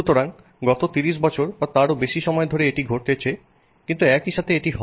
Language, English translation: Bengali, So, this is what has happened in the last 30 years or so